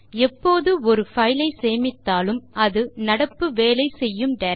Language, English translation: Tamil, Whenever we save a file,it gets saved in the current working directory